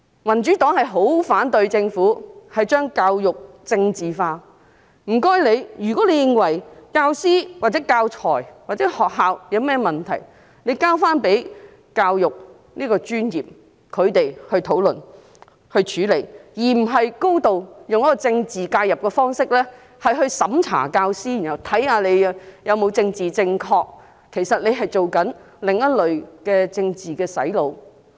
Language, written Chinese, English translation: Cantonese, 民主黨十分反對政府將教育政治化，如果政府認為教師、教材或學校有任何問題，請把問題交回教育界的專業人士討論和處理，而不是以高度的政治介入方式來審查教師，看看他們是否政治正確，其實這是另類的政治"洗腦"。, The Democratic Party strongly opposes politicization of education by the Government . If the Government opines that teachers teaching materials or schools have any problems it should refer the problems to the professionals in the education sector for discussion and follow - up rather than checking teachers political correctness through a high degree of political intervention . This is actually another kind of political brainwashing